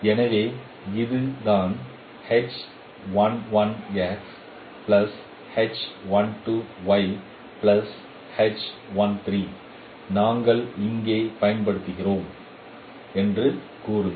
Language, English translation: Tamil, So say this is a representation we are using here